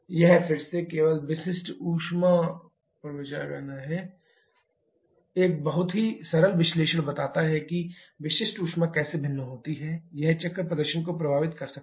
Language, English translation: Hindi, This is again only considering the specific heat, a very simple analysis just show how the variation is specific heat can affect the cycle performance